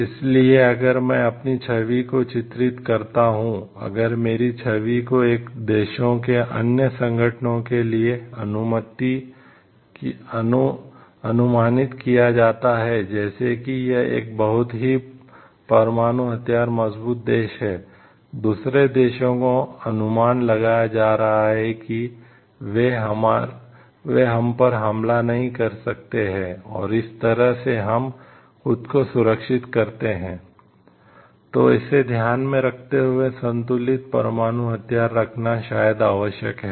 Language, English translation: Hindi, So, if I portray my image if my image gets projected to other organizations of the one countries images like, that is a very nuclear weapon strong country is getting, projected to the other countries they may not be attacking us and that is how we safeguard ourselves; so, taking this into consideration